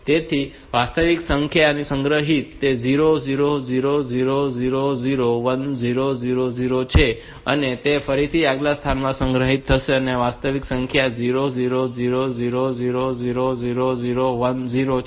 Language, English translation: Gujarati, So, the actual number that is stored is 0 0 0 0 0 1 0 0 0 similarly at the next location the actual number that is stored is 0 0 0 0 0 0 1 0